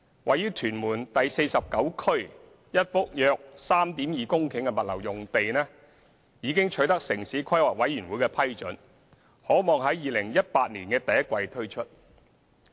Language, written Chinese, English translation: Cantonese, 位於屯門第49區一幅約 3.2 公頃的物流用地已取得城市規劃委員會批准，可望於2018年第一季推出。, A logistics site of approximately 3.2 hectares in Tuen Mun Area 49 has been approved by the Town Planning Board and is expected to be made available in the first quarter of 2018